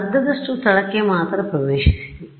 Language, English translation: Kannada, So, it is a half space right I have access only to half the space